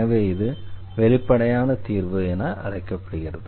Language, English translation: Tamil, So, this is called the explicit solution